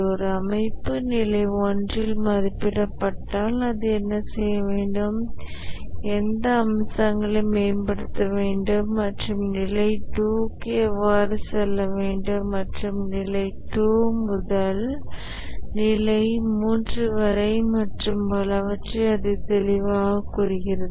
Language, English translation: Tamil, If an organization is assessed at level one, it clearly says that what it needs to do, what aspects it must improve and how to go to the level two and from level two to level three and so on